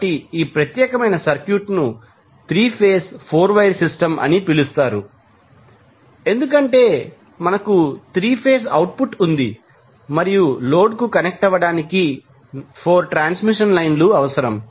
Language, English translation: Telugu, So, this particular set of circuit is called 3 phase 4 wire system because we have 3 phase output and 4 transmission lines are required to connect to the load